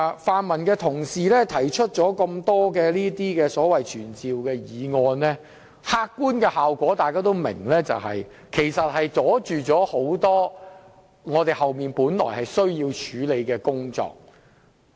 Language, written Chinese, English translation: Cantonese, 泛民同事提出多項傳召官員的議案，其實大家也明白其客觀效果是要阻礙後面多項本來需要處理的工作。, We all understand that by moving a number of motions to summon public officers to attend before the Council fellow colleagues from the pan - democratic camp actually seek to achieve the objective effect of obstructing the handling of a number of agenda items behind